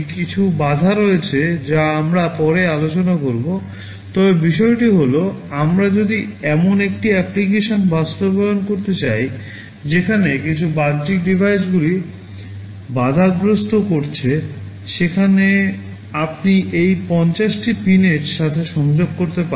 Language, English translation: Bengali, There are some constraints we shall be discussing later, but the thing is that if we want to implement an application where some external devices are sending interrupt, you can connect it to any of these 50 pins